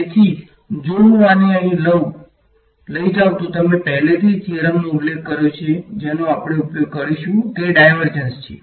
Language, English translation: Gujarati, So, if I take this over here then as you already mentioned the theorem that we will use is divergence here right